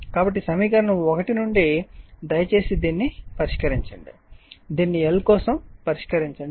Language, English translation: Telugu, So, from equation one you please solve this one you please solve this one for your l